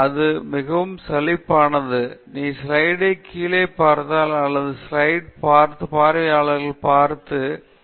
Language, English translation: Tamil, And then, it’s very monotonous; if you just look down on the slide or look at the slide and not look at the audience, and just keep reading